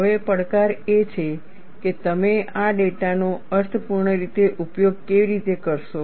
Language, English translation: Gujarati, Now, the challenge is, how you will utilize this data in a meaningful way